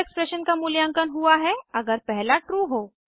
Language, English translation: Hindi, Second expression is evaluated only if the first is true